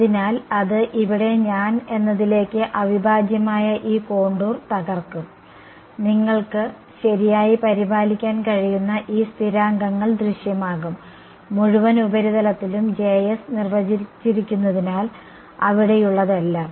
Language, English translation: Malayalam, So, that will collapse this contour integral over here in to I, there are this constants that will appear which you can take care right; jss defined over the entire surface so, all that is there